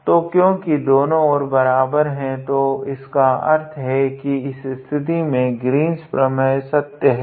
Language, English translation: Hindi, So, since the both sides are equal that means, that actually that Green’s theorem hold true in this case, alright